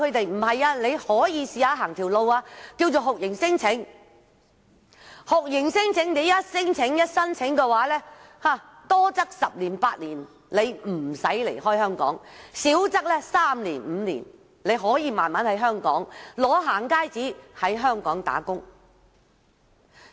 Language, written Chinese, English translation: Cantonese, 但是，因為有一些高明的律師教唆他們可嘗試酷刑聲請，只要提出聲請，多則十年八年不用離港，少則三年五年，取得"行街紙"後便可在香港工作。, But now some brilliant lawyers encourage them to try lodging torture claims telling them that they can stay and work in Hong Kong for some three to five years or even eight to ten years as long as they are issued a going - out pass